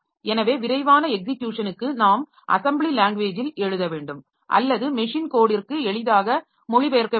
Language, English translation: Tamil, So, for fastest execution we must write in the assembly language or the which is easily translated to machine code